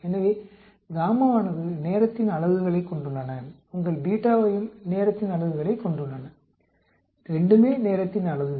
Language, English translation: Tamil, So, gamma has a units of a time your beta also has units of time, both are units of time